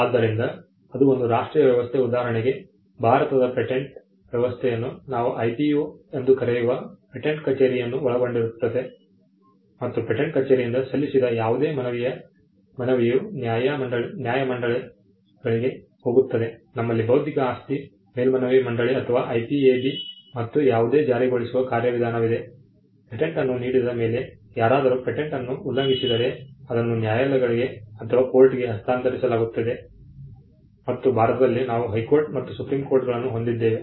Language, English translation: Kannada, So, a national system, for instance, if you take the India’s patent system comprises of the patent office what we call the IPO and any appeal from the patent office goes to the tribunals; we have the Intellectual Property Appellate Board or the IPAB and any enforcement mechanism, the patent is granted somebody is infringing the patent goes to the courts and in India we have the High Court and the Supreme Courts